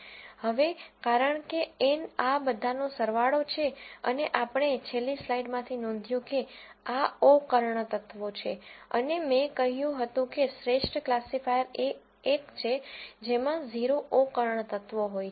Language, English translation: Gujarati, Now, because N is a sum of all of these and we notice from the last slide that these are the o diagonal elements and I said the best classifier is one which has 0 o diagonal elements